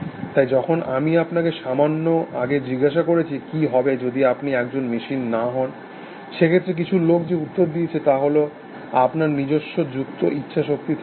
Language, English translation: Bengali, So, when I asked you little while ago as to what would be, if you were not a machine, then the answer that some people give is that, you have a own free will